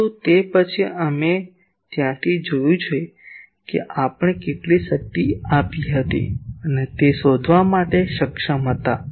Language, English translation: Gujarati, , But then from there you have seen that we were able to find out how much power etc it was giving